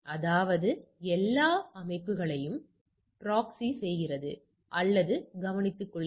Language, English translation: Tamil, That means, it proxies or take care of the all the systems